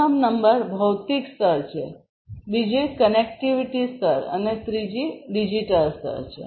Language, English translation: Gujarati, Number one is the physical layer, second is the connectivity layer and the third is the digital layer